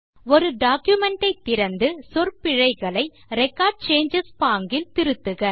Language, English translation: Tamil, Open a document and make corrections to spelling mistakes in Record Changes mode